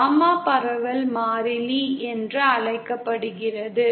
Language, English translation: Tamil, Gamma is called as the propagation constant